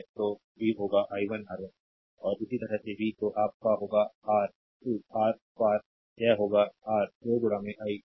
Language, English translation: Hindi, So, v will be is equal to i 1 R 1, and similarly v will be ah your across R 2 will be this is R 2 into i 2